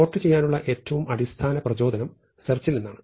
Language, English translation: Malayalam, So, the most basic motivation for sorting comes from searching